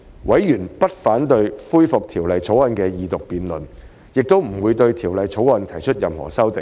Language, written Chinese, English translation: Cantonese, 委員不反對恢復《條例草案》的二讀辯論，亦不會對《條例草案》提出任何修正案。, Members raise no objection to the resumption of the Second Reading debate on the Bill and will not propose any amendments to the Bill